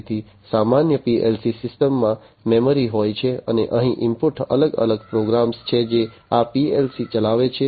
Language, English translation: Gujarati, So, a typical PLC system has memory, and the input over here are different programs, which run these PLC’s